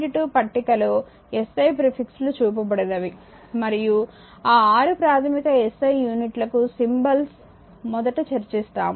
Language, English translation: Telugu, 2 shows SI prefixes and that symbols will come to that first this 6 basic SI units right